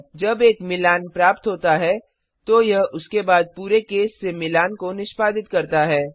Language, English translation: Hindi, When a match is found, it executes all the case from the match onwards